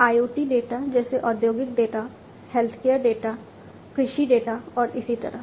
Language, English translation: Hindi, IoT data like industrial data, healthcare data, agricultural data, and so on